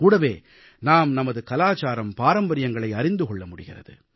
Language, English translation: Tamil, At the same time, we also come to know about our culture and traditions